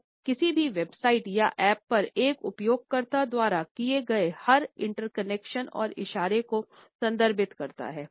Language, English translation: Hindi, It refers to every interaction and gesture a user makes on a website or on an app